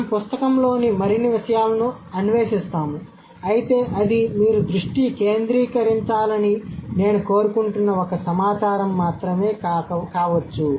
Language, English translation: Telugu, We'll explore more things in the book but then that is just one set of data that I want you to focus on